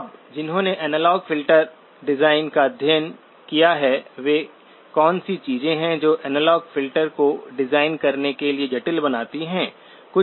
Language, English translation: Hindi, Now those who have studied analog filter design, what are the things that make analog filters complex to design